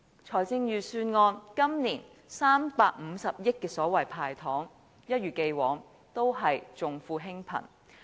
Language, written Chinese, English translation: Cantonese, 財政預算案今年350億元的所謂"派糖"，一如既往也是重富輕貧。, As in the past even though 35 billion has been set aside as so - called candies the Budget this year is still caring for the rich while neglecting the poor